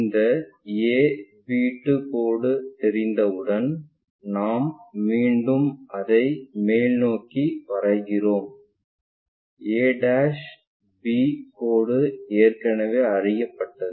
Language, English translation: Tamil, Once, this a b 2 line is known we again project it back all the way up, a' b' line already known